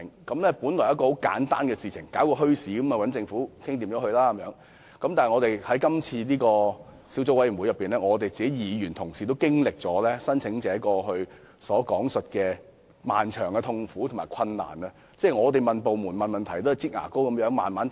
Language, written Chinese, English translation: Cantonese, 小組委員會委員滿以為發展墟市很簡單，只須與政府商討便可，結果在過程中卻經歷了經營墟市申請者所講述的漫長痛苦和困難：我們向部門提出問題，對方總是如"擠牙膏"般慢慢回覆。, Members of the Subcommittee initially thought that applying to hold a bazaar was a very simple matter and the applicant only had to discuss with the Government but during the process of our deliberation we personally experienced the prolonged pain and difficulties described by the bazaar applicants . Whenever we put questions to the government departments they would always respond slowly like squeezing toothpaste out of a tube